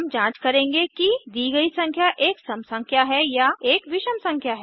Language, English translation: Hindi, We shall check if the given number is a even number or an odd number